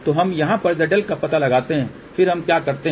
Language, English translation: Hindi, So, we locate the Z L over here then what we do